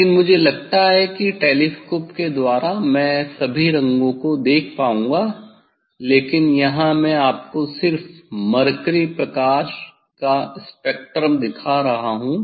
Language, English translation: Hindi, But I think through the telescope I will be able to see all colours but, here just I am showing you the spectrum of the mercury lights